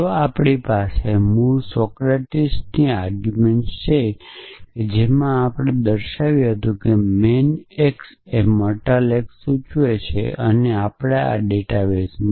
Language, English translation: Gujarati, So, if we have our original Socratic argument which said that man x implies mortal x and in our database